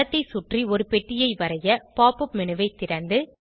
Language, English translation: Tamil, To draw a bound box around the image, open the Pop up menu